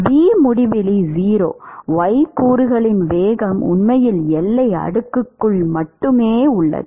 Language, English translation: Tamil, The v infinity is actually 0, the y component velocity is really present only inside the boundary layer